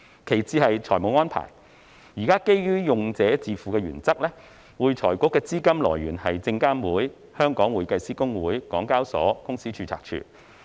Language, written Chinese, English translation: Cantonese, 其次是財政安排，現時基於用者自付原則，會財局的資金來源是證監會、會計師公會、港交所和公司註冊處。, The second point is about the financial arrangements . At present based on the user - pay principle FRCs sources of funds are the Securities and Futures Commission HKICPA Hong Kong Exchanges and Clearing Limited and the Companies Registry